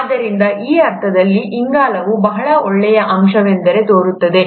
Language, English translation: Kannada, So in that sense, carbon seems to be a very nice element